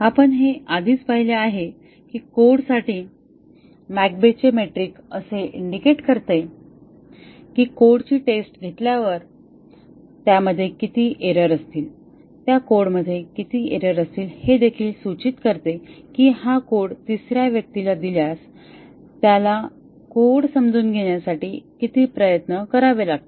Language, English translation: Marathi, We have already seen that McCabe’s metric for a code indicates that after the code as been tested, how many errors would execute in that, how many errors will be present in that code it also indicates that given this code to a third person how much effort he has to make understand the code